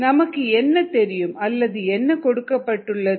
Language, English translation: Tamil, so what is known or given